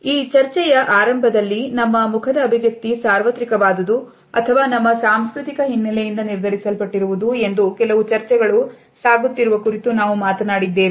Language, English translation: Kannada, In the beginning of this discussion we had looked at how there had been some debate whether the expression on our face is universal or is it determined by our cultural backgrounds